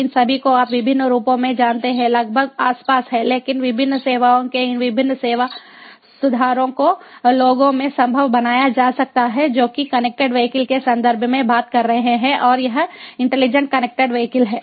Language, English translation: Hindi, all of these, you know, in different forms, have been around, but the different services, this different service improvements that can be made possible in people are talking about in the context of connected vehicles, and you know ah and ah this intelligent connected vehicles